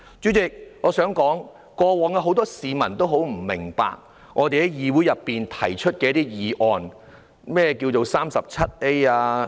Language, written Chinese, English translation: Cantonese, 主席，過往很多市民也不明白我們在議會內提出的一些議案的目的。, Chairman in the past many people did not quite understand the purpose of us proposing some motions in the Council